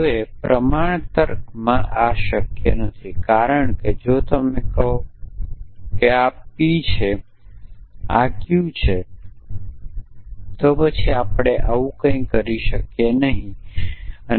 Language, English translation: Gujarati, Now, this is not possible in proportion logic, because if you say this is P this is Q then there is nothing we can be do